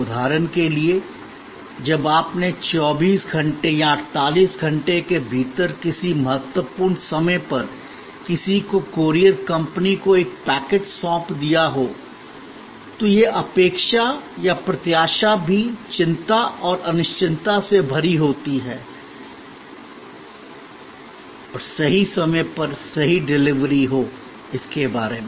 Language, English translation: Hindi, Like for example, when you have handed over a packet to the courier company at needs to be delivered to somebody at a critical point of time within 24 hours or 48 hours and so on, that expectation or anticipation is also full of anxiety and uncertainty and so on about that correct delivery at correct time